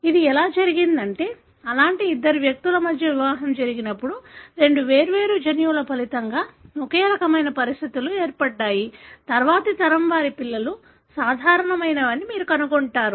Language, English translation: Telugu, It so happened, when marriage happens between two such individuals having very similar conditions that resulted from two different gene, the next generation you would find that, that their children are normal